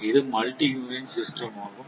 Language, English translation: Tamil, So, this is multi unit system